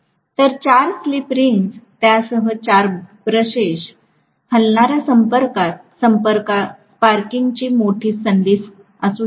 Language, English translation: Marathi, So, 4 slip rings, 4 brushes along with that, you know moving contact, there can be a huge opportunity for sparking